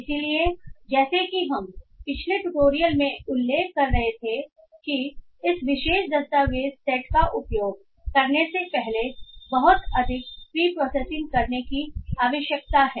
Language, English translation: Hindi, So as we were mentioning in the previous tutorial that a lot of preprocessing needs to be done before using this particular document set